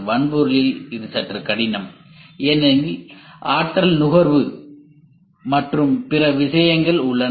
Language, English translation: Tamil, In hardware it is slightly difficult because there is a energy consumption and other things